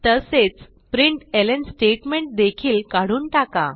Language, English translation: Marathi, We will also remove the println statements